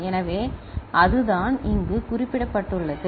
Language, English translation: Tamil, So, that is what has been mentioned over here